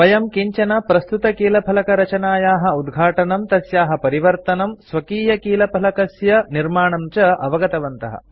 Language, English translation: Sanskrit, We also learnt to open an existing keyboard layout, modify it, and create our own keyboard